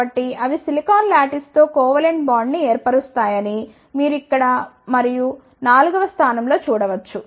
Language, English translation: Telugu, So, they forms a covalent bond with the silicon lattice, you can see here and at the fourth position